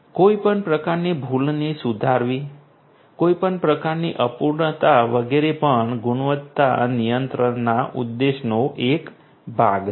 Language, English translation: Gujarati, Rectifying any kind of error any omission incompleteness etcetera these are also part of the objectives of quality control